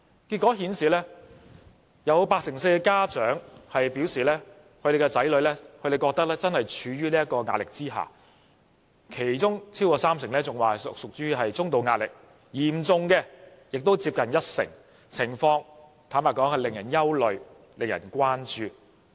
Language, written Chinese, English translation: Cantonese, 結果顯示，有八成四受訪家長表示，他們的子女正處於壓力之下，其中超過三成屬於中度壓力，嚴重的亦接近一成；坦白說，情況實在令人憂慮和關注。, According to the survey findings 84 % of the respondents said that their children are under stress; and of those children over 30 % are under moderate stress while close to 10 % are under serious stress . Frankly the situation is worrying and alarming